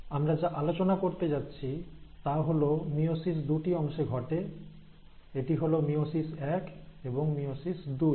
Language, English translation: Bengali, So in what we are going to study in meiosis is that, meiosis itself has got two parts; it is divided into meiosis one and meiosis two